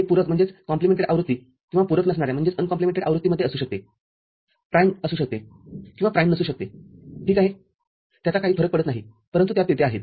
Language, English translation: Marathi, It could be in complemented version or uncomplemented version primed or unprimed ok, it does not matter, but these are there